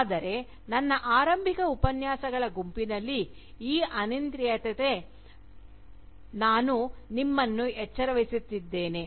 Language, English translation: Kannada, But, in my initial set of Lectures, I had in fact alerted you, to this arbitrariness